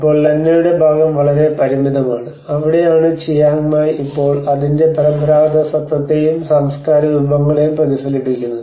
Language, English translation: Malayalam, And now the Lanna part has been very limited, and that is where the Chiang Mai which is still reflecting its traditional identity and the cultural resources